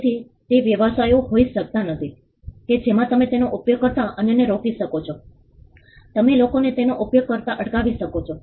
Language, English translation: Gujarati, So, it may not be the businesses that in which you can stop others from using it you could also stop people from using it